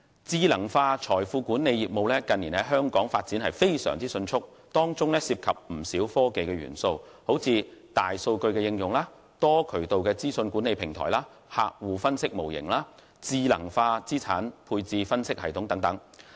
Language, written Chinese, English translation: Cantonese, 智能化財富管理業務近年在香港發展非常迅速，當中涉及不少科技元素，如大數據應用、多渠道資訊管理平台、客戶分析模型、智能化資產配置分析系統等。, The recent years have seen rapid development of smart wealth management business in Hong Kong . This business entails quite many technological elements such as big data application multiple platforms for information management clientele analysis models smart systems for asset portfolio analysis and so on